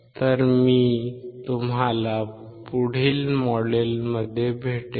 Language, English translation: Marathi, So, I will see you in the next module